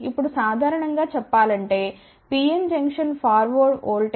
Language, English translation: Telugu, Now, generally speaking for PN junction forward voltage is typically of the order of 0